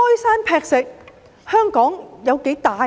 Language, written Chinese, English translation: Cantonese, 然而，香港有多大呢？, However how big is Hong Kong?